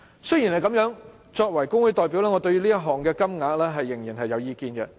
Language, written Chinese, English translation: Cantonese, 雖然如此，作為工會代表，我對於這項款項仍然有意見。, Despite the increase as the representative of my trade union I still take issue with the sum